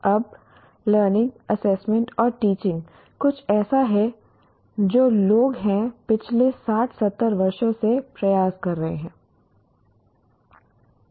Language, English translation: Hindi, Now, taxonomy of learning, assessment and teaching is people have been attempting for the past 60, 70 years